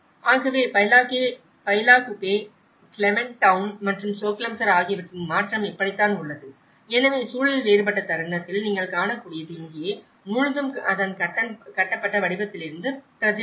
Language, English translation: Tamil, So, this is how there has been a transition of Bylakuppe, Clement town and Choglamsar, so what you can see in the moment the context is different and here, the whole it is reflected from its built form as well